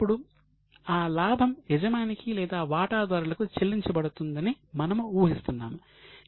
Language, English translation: Telugu, Now we are assuming that that profit is paid to the owners or to the shareholders